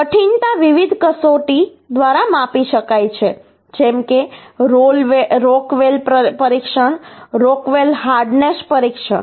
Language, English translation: Gujarati, So hardness we can be measure by different test uhh, like rock well test, rock well hardness test